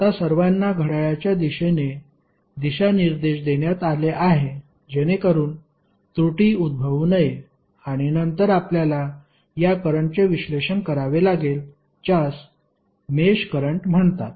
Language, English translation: Marathi, Now, all have been assigned a clockwise direction for not to take risk of error and then we have to analyse these currents which are called mesh currents